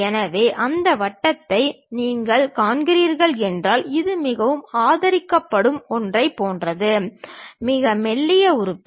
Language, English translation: Tamil, So, if you are seeing that circular one; this is more like a supported one, a very thin element